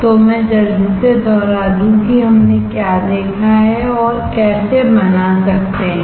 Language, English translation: Hindi, So, let me quickly repeat what we have seen and how can fabricate